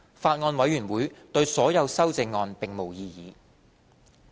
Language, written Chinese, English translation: Cantonese, 法案委員會對所有修正案並無異議。, The Bills Committee has no objection to all the amendments